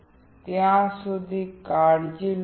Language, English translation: Gujarati, So, till then take care